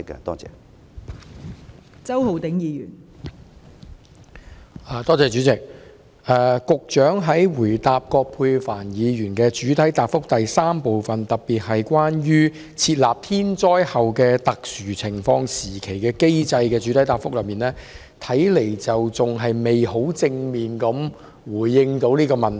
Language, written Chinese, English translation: Cantonese, 代理主席，局長在答覆葛珮帆議員主體質詢的第三部分，特別是關於設立"天災後特殊情況時期"的機制時，看來仍然未能十分正面地回應有關問題。, Deputy President it seems that the Secretary has failed to give a positive response to part 3 of Dr Elizabeth QUATs main question that is the question about setting up a mechanism for declaring a period of special circumstances after a natural disaster . Here I just wish to say a few words . On this occasion there was no mechanism for announcing a so - called work suspension